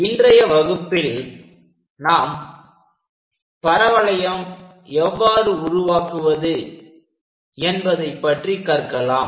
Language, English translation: Tamil, And in today's class, we will learn more about how to construct parabola